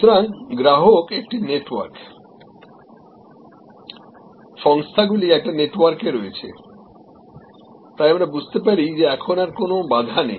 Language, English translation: Bengali, So, customer is a network, the organizations are in a network, so we understand that now there is not much of a barrier